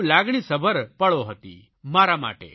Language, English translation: Gujarati, It was a very emotional moment for me